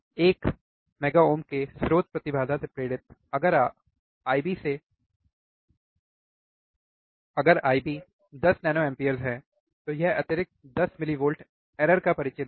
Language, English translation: Hindi, Driven from a source impedance of one mega ohm, if I B is 10 nanoampere, it will introduce an additional 10 millivolts of error